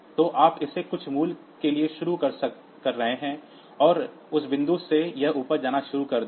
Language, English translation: Hindi, So, you are initializing it to some value, and from that point onwards